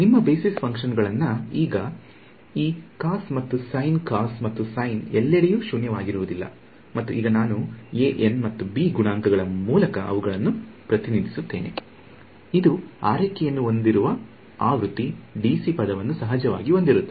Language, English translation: Kannada, So, your basis functions now have become this cos and sin cos and sin are nonzero everywhere and now I am representing them by coefficients an and b n and there is of course, a d c term that I have to take care